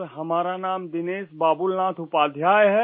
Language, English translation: Hindi, Sir, my name is Dinesh Babulnath Upadhyay